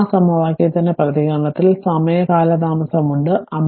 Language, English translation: Malayalam, There is a time delay in the response of that equation 57 right